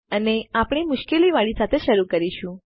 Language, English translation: Gujarati, And we will start with the hard one